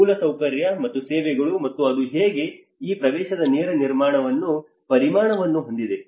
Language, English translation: Kannada, Infrastructure and services and how it have a direct implication of these access